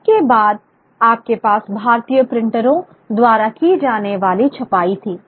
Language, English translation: Hindi, After this you had the printing being taken up by Indian printers